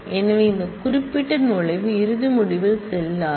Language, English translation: Tamil, So, this particular entry will not go in the final result